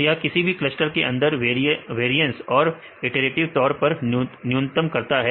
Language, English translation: Hindi, So, iteratively minimizes the variance within the clusters right